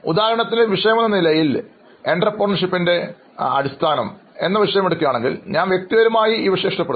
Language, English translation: Malayalam, For example, if there is fundamental of entrepreneurship as a subject, like if you like, I personally like that subject